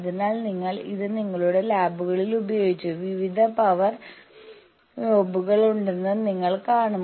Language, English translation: Malayalam, So, you have all used it in your labs, you will see that there are various power knobs